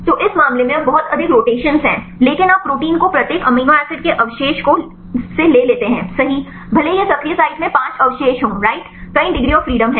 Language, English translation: Hindi, So, in this case there is now much rotations, but you take the proteins right even each amino acid residue right even it is a 5 residues in the active site right there is several degree degrees of freedom